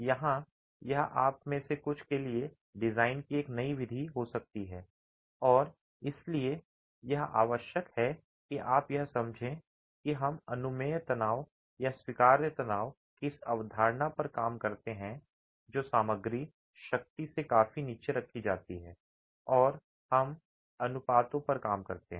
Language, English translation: Hindi, Here, this may be a new method of design for few of you and hence it is essential that you understand that we work on this concept of permissible stresses or allowable stresses which are kept far below the material strength and we work on those ratios